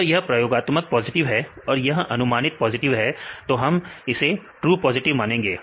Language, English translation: Hindi, If this is a experimental is positive and the predicted is also positive then we take this as true positive